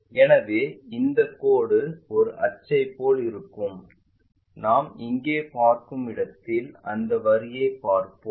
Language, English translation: Tamil, So, this line will be more like an axis and where we will see is here we will see that line